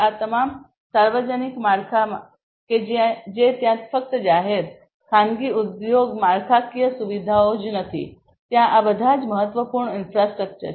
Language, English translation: Gujarati, All these public infrastructure that are there not only public, private you know industry infrastructure all this critical infrastructure that are there